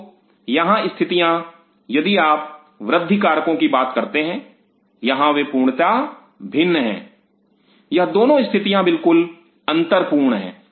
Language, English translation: Hindi, So, the conditions out here if you talk about the growth factors here they are totally different these 2 conditions are very unequal